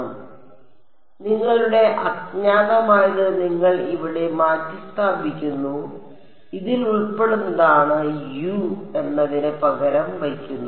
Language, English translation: Malayalam, So, you are substituting this your unknown over here which consists of U i e N i e x this is what is being substituted for U